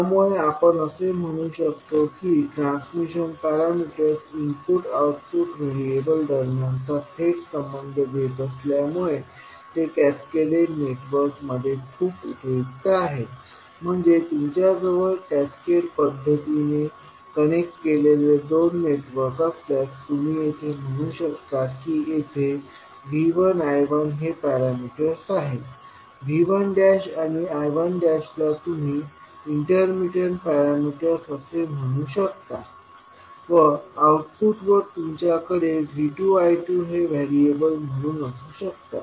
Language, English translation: Marathi, So, what we can say that since the transmission parameters provides a direct relationship between input and output variables, they are very useful in cascaded networks that means if you have two networks connected in cascaded fashion so you can say that here the parameters are V 1 I 1, intermittent parameters you can say V 1 dash I 1 dash and output you may have V 2 and I 2 as the variables